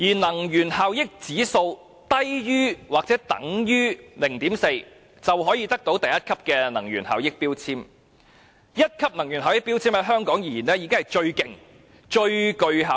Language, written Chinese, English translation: Cantonese, 能源效益指數低於或等於 0.4 的產品可獲1級能源標籤，而在香港1級能源標籤已是最好及能源效益最高的級別。, A product with an energy efficiency indexEEI lower than or equal to 0.4 may obtain a Grade 1 energy label which is already the best and the highest energy efficiency grading in Hong Kong